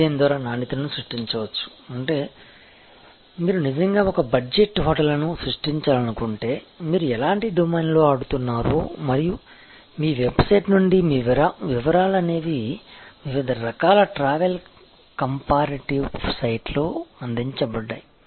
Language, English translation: Telugu, So, quality can be created by design; that means, if you actually want to create a budget hotel, when you make yourself very clear that what kind of domain in which you are playing and from your website, from the way, you are details are provided in the various kinds of travel comparatives sides